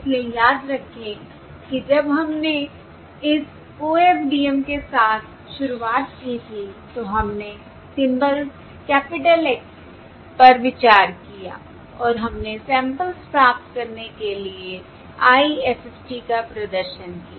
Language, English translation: Hindi, So remember the when we started with in this OFDM, we considered the symbols, the capital Xs and we performed the IFFT to get the samples